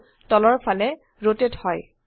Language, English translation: Assamese, The view rotates downwards